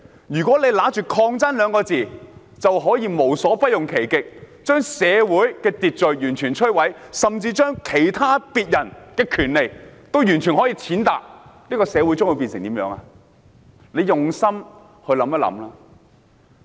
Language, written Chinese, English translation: Cantonese, 如果憑着"抗爭"二字就可以無所不用其極，把社會秩序完全摧毀，甚至踐踏別人的權利，社會將會變成怎樣呢？, What will happen to our society if one may act as they please completely destroy social order or even trample on the rights of others under the banner of resistance?